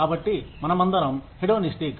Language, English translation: Telugu, So, we are all hedonistic